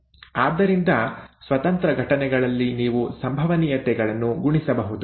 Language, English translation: Kannada, Independent events, you can multiply the probabilities